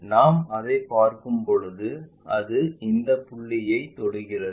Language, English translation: Tamil, When we are looking at that it just touch at this points